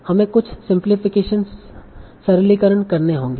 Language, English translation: Hindi, So you will need to do certain simplifications